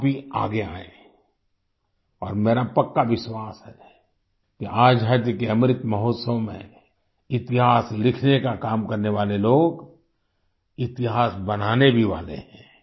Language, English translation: Hindi, You too come forward and it is my firm belief that during the Amrit Mahotsav of Independence the people who are working for writing history will make history as well